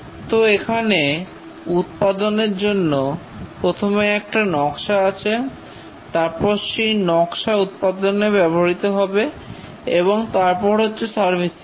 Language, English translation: Bengali, So here for the manufacturing there is initial design and the design is used for development and then production and then servicing